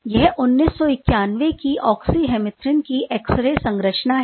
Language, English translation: Hindi, This is a X ray structure of oxy hemerythrin back in 1991